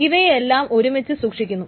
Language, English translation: Malayalam, These are all stored together